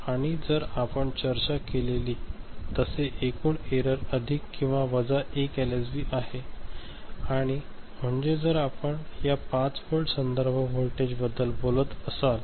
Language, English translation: Marathi, And total error maximum that we have discussed is plus minus 1 LSB ok, and so that is if you are talking about this 5 volt reference and all